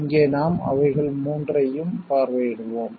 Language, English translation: Tamil, Here we will visit all 3 of them